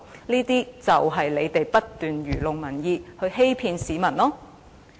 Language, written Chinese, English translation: Cantonese, 這便是因為他們不斷愚弄民意，欺騙市民。, It is because they have been making a mockery of public opinion and fooling the public